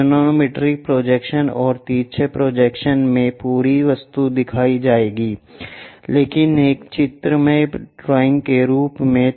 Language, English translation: Hindi, In axonometric projections and oblique projections, the complete object will be shown, but as a pictorial drawing